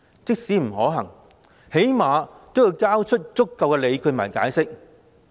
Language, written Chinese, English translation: Cantonese, 即使不可行，最少也要交出足夠理據和解釋。, Even if it is considered infeasible at least the Government should present sufficient justifications and explanations